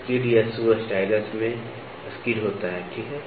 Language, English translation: Hindi, A skid or a shoe stylus has a skid, ok